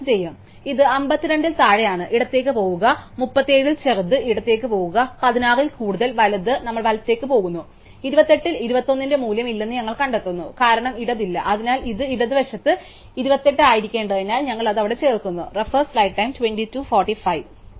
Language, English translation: Malayalam, So, it is smaller than 52 we go a left, smaller than 37 we go a left, bigger than 16 we go right and then we find that at 28 those no value of 21, because there is no left, so this since it should be to the left it 28, we add it there